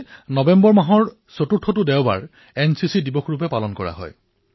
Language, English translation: Assamese, As you know, every year, the fourth Sunday of the month of November is celebrated as NCC Day